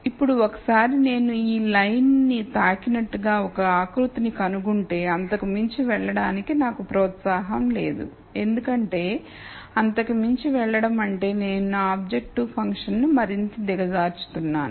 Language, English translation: Telugu, Now once I find a contour like that which touches this line then there is no incentive for me to go further beyond because going further beyond would mean I would be making my objective function worser